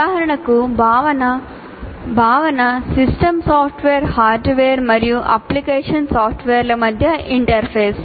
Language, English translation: Telugu, For example, system software is an interface between hardware and application software